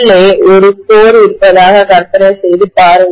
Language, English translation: Tamil, Imagine that there is a core inside, okay